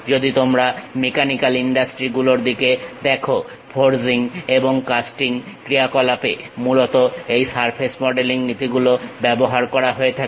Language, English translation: Bengali, If you are looking at mechanical industries, the forging and casting operations usually involves this surface modelling principles